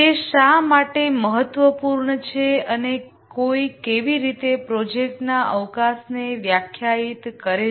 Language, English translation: Gujarati, Why is it important and how does one define the project scope